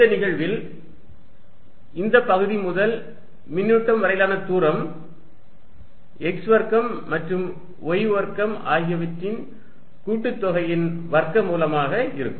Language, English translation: Tamil, In this case, the distance from this element to the charge is going to be square root of x square plus y square